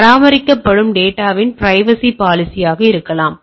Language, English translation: Tamil, There can be privacy policy of maintained data